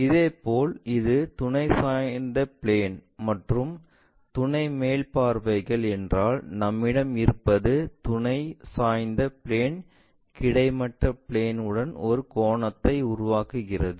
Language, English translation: Tamil, Similarly, if it is auxiliary inclined plane and auxiliary top views for that what we have is this is auxiliary inclined plane makes an angle with the horizontal plane